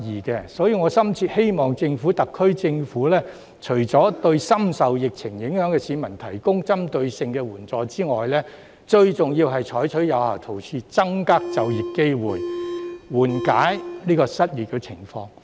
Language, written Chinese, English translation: Cantonese, 因此，我深切希望特區政府除對深受疫情影響的市民提供針對性的援助外，最重要是採取有效措施，增加就業機會，緩解失業情況。, Hence I earnestly hope that the SAR Government will provide targeted assistance to those people who are deeply affected by the epidemic but also implement effective measures to increase job opportunities and alleviate the unemployment situation